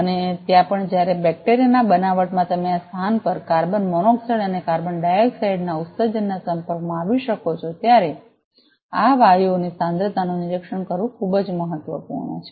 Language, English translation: Gujarati, And also while in bacteria fabrication there you may be exposed to emissions of carbon monoxide and carbon dioxide at those place monitoring the concentration of these gases are very much important